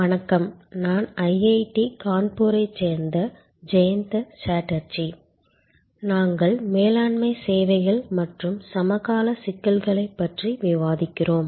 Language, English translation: Tamil, Hello, I am Jayanta Chatterjee from IIT Kanpur and we are discussing Managing Services and the Contemporary Issues